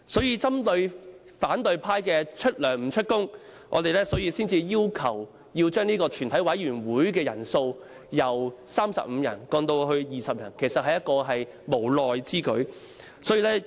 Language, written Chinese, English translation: Cantonese, 因此，針對反對派出糧不出勤的情況，我們才會要求把全體委員會的人數由35人降至20人，其實相當無奈。, Therefore given the situation that the opposition camp is paid but always absent from meetings we actually have no other alternatives but to propose lowering the quorum of a committee of the whole Council from 35 members to 20 members